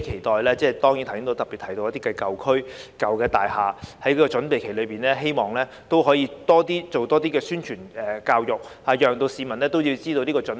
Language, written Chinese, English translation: Cantonese, 對於我剛才特別提及的一些舊區和舊大廈，我期待政府在這個準備期內，可以多做宣傳教育，讓市民知道要有所準備。, Regarding the old districts and old buildings that I specifically mentioned earlier on I hope that the Government can step up publicity and education during the preparatory period so that the public are aware of the need to make preparation